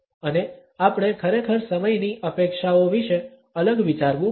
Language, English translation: Gujarati, And we really have to think differently about expectations around timing